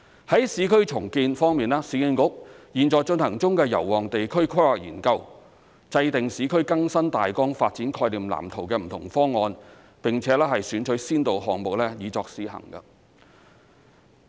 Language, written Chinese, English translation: Cantonese, 在市區重建方面，市區重建局現在進行中的油旺地區規劃研究，制訂"市區更新大綱發展概念藍圖"的不同方案，並且選取先導項目以作試行。, In respect of urban renewal the Yau Mong District Study being conducted by the Urban Renewal Authority URA is about formulating various options under the Master Renewal Concept Plan and selecting pilot projects for trial implementation